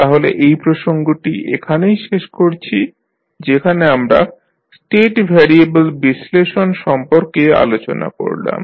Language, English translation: Bengali, So, we close our this particular topic where we discuss about the State variable analysis